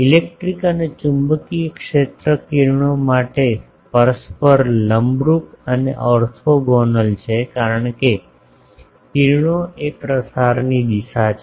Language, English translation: Gujarati, The electric and magnetic fields are mutually perpendicular and orthogonal to the rays because, rays are the direction of propagation